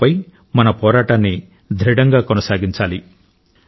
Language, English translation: Telugu, We have to firmly keep fighting against Corona